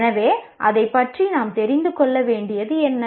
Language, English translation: Tamil, So, what is it that we need to know about that